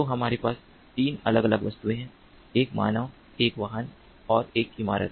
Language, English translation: Hindi, so we have three different objects: a human, a vehicle and a building